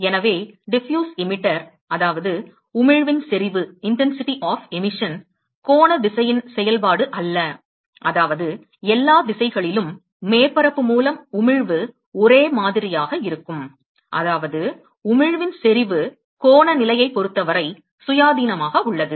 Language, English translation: Tamil, So, Diffuse Emitter, it means that, the intensity of emission is not a function of the angular direction, which means that, in all directions the emission by the surface is going to be uniform, which means that the intensity of emission is independent of the angular position